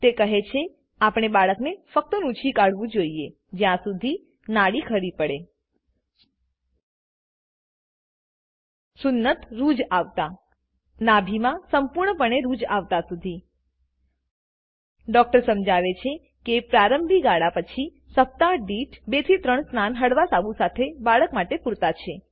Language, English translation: Gujarati, She says that we should give the baby only sponge bath, until the umbilical cord falls off the circumcision heals the navel heals completely The doctor explains that after the initial period, 2 3 baths per week, with a mild soap, are sufficient for the baby